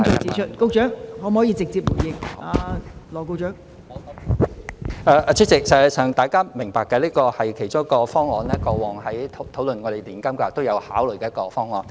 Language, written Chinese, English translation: Cantonese, 代理主席，實際上大家都明白這是其中一個方案，過往在討論我們的年金計劃時都有考慮的一個方案。, Deputy President in fact we all know that this is one of the options we have considered before when discussing our annuity scheme